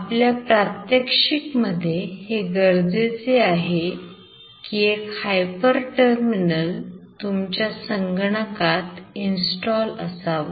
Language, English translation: Marathi, So for our experiment, it is required to ensure that there is a hyper terminal installed in the computer